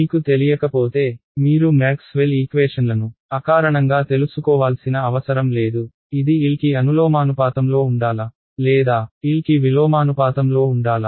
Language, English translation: Telugu, If you did not know you do not need to know Maxwell’s equations intuitively, should it depend proportional to be proportional to L or inversely proportional to L